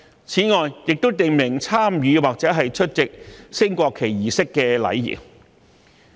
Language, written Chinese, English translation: Cantonese, 此外，《條例草案》亦訂明參與或出席升國旗儀式的禮儀。, Moreover the Bill provides for the etiquette for taking part in or attending a national flag raising ceremony as well